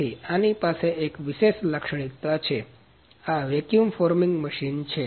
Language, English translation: Gujarati, So, it has a specific feature in that so this is vacuum forming machine